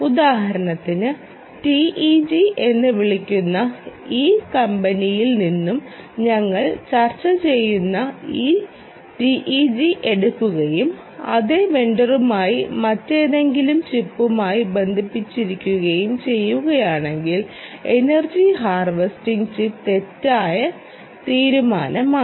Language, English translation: Malayalam, for instance, if you take this teg that we are discussing from this company called t e c tec and connect it to the same vendor, some other chip, ah, which is also energy harvesting chip, is an incorrect decision